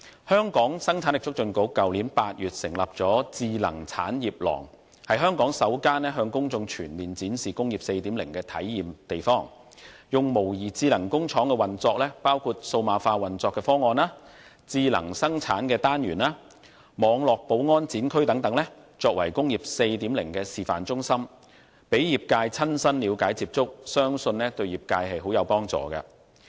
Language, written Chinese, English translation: Cantonese, 香港生產力促進局去年8月成立了智能產業廊，是香港首個向公眾全面展示"工業 4.0" 的體驗地方，以模擬智能工廠運作，包括數碼化運作的方案、智能生產單元和網絡保安展區等作為"工業 4.0" 的示範中心，供業界親身了解接觸，相信對業界很有幫助。, In August last year HKPC established the Smart Industry One the first - of - its - kind in Hong Kong showcasing comprehensively Industry 4.0 to the public . This demonstration centre which simulates the operation of a smart factory including the digitalization operation solution intelligent and agile production cell and Cyber Security Zone enables the industry to see for themselves what Industry 4.0 is about . It is believed that the demonstration centre will be very useful to the industry